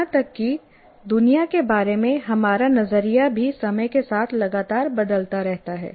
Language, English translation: Hindi, Even our view of the world continuously changes with time